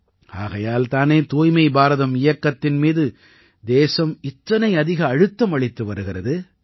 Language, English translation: Tamil, That is why the country is giving so much emphasis on Swachh BharatAbhiyan